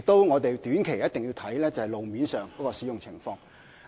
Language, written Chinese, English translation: Cantonese, 我們短期內一定要監察路面的使用情況。, In the short term we must monitor the situation of road use